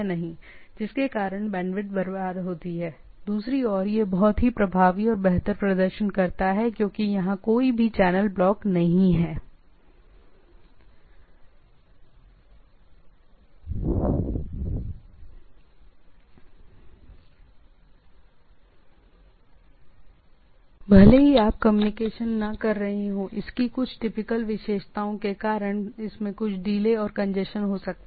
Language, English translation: Hindi, So, in other sense, there can be effectively there is a waste of bandwidth whereas, there is more effective and better performance because there is no such sort of a blocking the channel even if you not communicating, but they may have some delay and congestion because of its typical characteristics